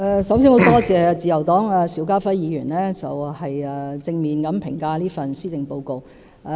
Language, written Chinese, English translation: Cantonese, 首先，很感謝自由黨邵家輝議員對這份施政報告作出正面評價。, First of all I am grateful to Mr SHIU Ka - fai of the Liberal Party for his positive comments on this Policy Address